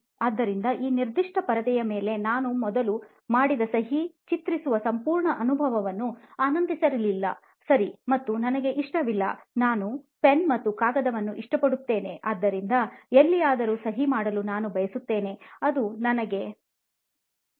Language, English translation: Kannada, is that is that what I signed, so first of all I did not enjoy the whole experience of drawing on this particular screen, okay and I do not like it, I like a pen and paper and I want to sign somewhere if it is a signature it has to be that personal to me